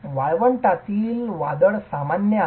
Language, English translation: Marathi, Desert storms are common